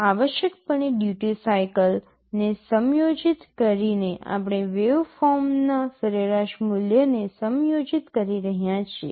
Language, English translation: Gujarati, Essentially by adjusting the duty cycle we are adjusting the average value of the waveform